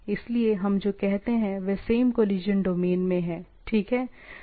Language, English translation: Hindi, So, what we say they are in the same collision domain, right